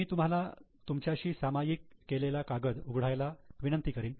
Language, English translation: Marathi, I will request you to open your sheet which is already shared with you